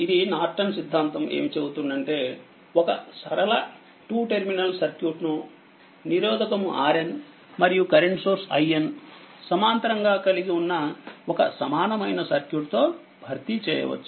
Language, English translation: Telugu, So, Norton theorem states that a linear 2 terminal circuit can be replaced by an equivalent circuits consisting of a current source i N in parallel with a resistor R n